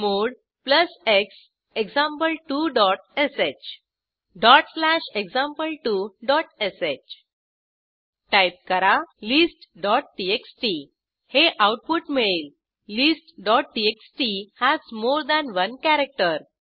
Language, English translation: Marathi, chmod plus x example2 dot sh dot slash example2 dot sh Type list.txt The output is displayed as list.txt has more than one character